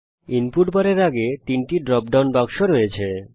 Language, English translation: Bengali, There are 3 drop down boxes next to the input bar